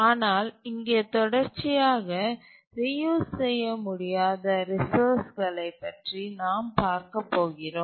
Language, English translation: Tamil, But then now we are going to look at resources which are not serially reusable